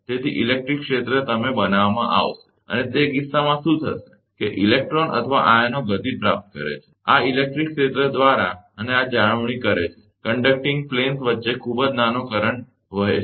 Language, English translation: Gujarati, So, electric field will be you are created and, in that case, what will happen that electrons or ions acquire motion, by this electric field and this maintain, a very small current between the conducting planes